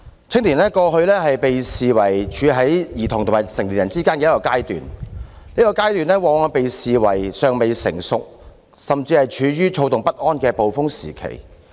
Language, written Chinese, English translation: Cantonese, 青年在過去被視為處於兒童與成年人之間的一個階段，這個階段往往被視為"尚未成熟"，甚至是處於躁動不安的"暴風時期"。, In the past youth was regarded as a stage between childhood and adulthood and this stage is often regarded as not yet mature and even a tempestuous period full of agitation and restlessness